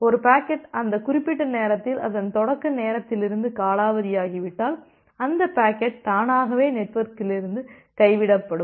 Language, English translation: Tamil, And if a packet expires that particular time from its originating time, then that packet is automatically dropped from the network